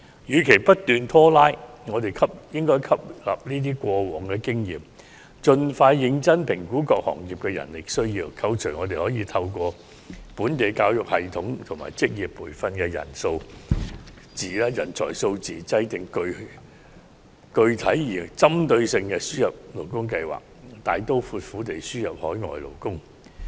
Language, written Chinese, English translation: Cantonese, 與其不斷拖拉，我們應吸納上述的過往經驗，盡快認真評估各行業的人力需要，扣除可透過本地教育系統及職業培訓產生的人才數字，制訂具體而有針對性的輸入勞工計劃，大刀闊斧地輸入海外勞工。, Instead of dragging on incessantly we should learn from past experiences mentioned above seriously assess the manpower needs of different trades and industries as soon as possible and formulate a specific and targeted plan for importation of labour after taking into account of the number of talents to be available from local education and vocational training system so as to import foreign workers in a bold and decisive manner